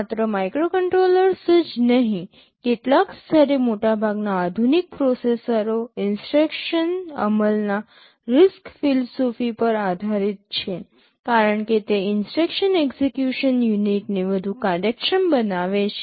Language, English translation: Gujarati, Not only microcontrollers, most of the modern processors at some level are based on the RISC philosophy of instruction execution because it makes the instruction execution unit much more efficient